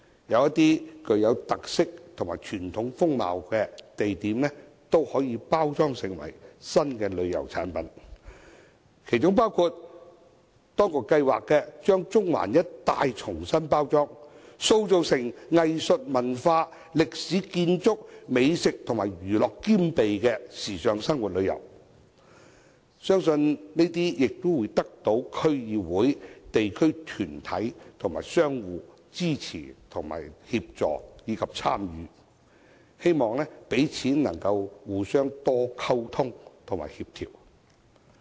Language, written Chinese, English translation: Cantonese, 有些具有特色和傳統風貌的地點，也可以把它們包裝成一些新的旅遊產品，其中包括當局計劃將中環一帶重新包裝，塑造成集藝術、文化、歷史建築、美食和娛樂兼備的時尚生活遊，相信可得到區議會、地區團體和商戶等的支持、協助和參與，也希望彼此能夠多加溝通和協調。, An example of which is the proposed repackaging of the areas in the vicinity of Central into a trendy lifestyle zone with a concentration of arts cultures historic buildings gourmet food and entertainment . It is believed that the District Council local organizations and shop operators will support the plan provide assistance and get involved in it . It is also hoped that better communication and coordination will be maintained